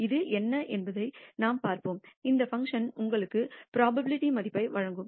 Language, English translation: Tamil, We will see what it is and this function will give you the probability value